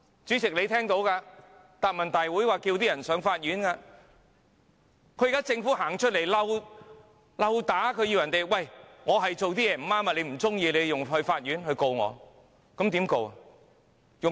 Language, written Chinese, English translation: Cantonese, 主席，你也聽到，她在答問會上叫人們上法院，現在是政府走出來挑釁，說："我是做得不對，你若不喜歡的話，便向法院控告我吧。, She told people to go to the Court . The Government has now come forward to provoke saying What I did was wrong . If you do not like it you can institute prosecution against me at the Court